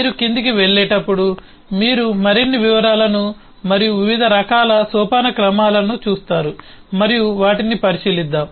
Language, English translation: Telugu, as you go down you see further details and different kinds of hierarchies play role, and let us take a look into those